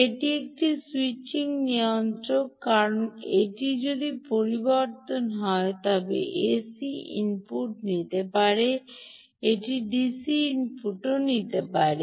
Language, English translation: Bengali, its a switching regulator because, if it is switching, it can take ac input, it can also take dc input